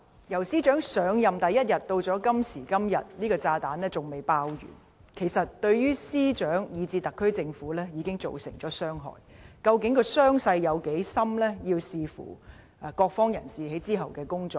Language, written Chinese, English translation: Cantonese, 由司長上任第一天至今，這個炸彈仍未爆完，對司長以至特區政府已造成傷害，傷勢有多深取決於各方人士之後的工作。, The explosion of this bomb which started on the first day of the term of office of the Secretary for Justice has yet to finish . It has harmed the Secretary for Justice as well as the SAR Government . The severity of the harm depends on the subsequent efforts of various parties